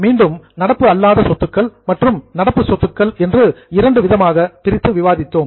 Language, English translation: Tamil, Now we have understood both non current assets, current assets, then non current liabilities current liabilities